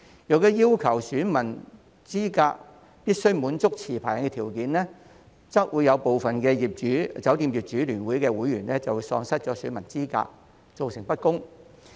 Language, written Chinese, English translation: Cantonese, 如果要求選民資格必須滿足持牌人的條件，則會有部分酒店業主聯會的會員喪失選民資格，造成不公。, If it is required that electors must fulfil the condition of being licence holders to be eligible some members of FHKHO may be disqualified as electors resulting in unfairness